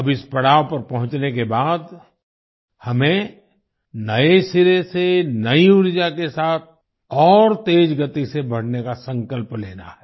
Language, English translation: Hindi, Now after reaching this milestone, we have to resolve to move forward afresh, with new energy and at a faster pace